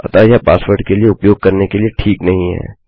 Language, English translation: Hindi, So, its not good to use it for a password